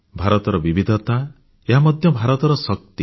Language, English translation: Odia, India's diversity is its unique characteristic, and India's diversity is also its strength